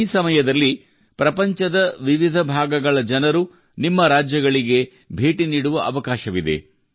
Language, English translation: Kannada, During this period, people from different parts of the world will get a chance to visit your states